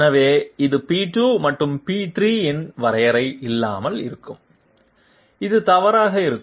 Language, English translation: Tamil, So this one would be without definition of P2 and P3, this would be incorrect